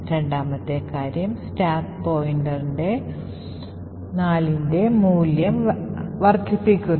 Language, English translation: Malayalam, Second thing the stack pointer increments by a value of 4